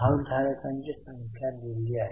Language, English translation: Marathi, The number of shareholders are given